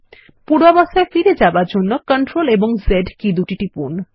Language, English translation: Bengali, To undo the action, press CTRL+Z keys